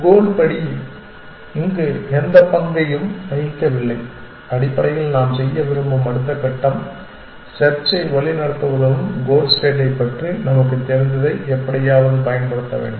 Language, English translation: Tamil, The goal step no role to play here essentially the next step that we would like to do is to somehow exploit what we know about the goal state to help guide the search